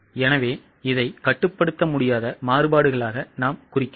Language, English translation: Tamil, So, we can mark it as a controllable variance